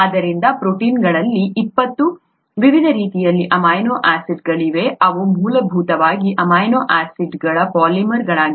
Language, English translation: Kannada, And therefore there are 20 different types of amino acids in the proteins which are essentially polymers of amino acids